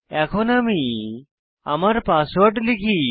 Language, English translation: Bengali, So let me enter my password